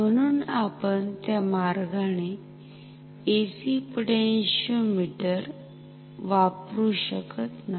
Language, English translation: Marathi, So, we cannot use AC potentiometers in that way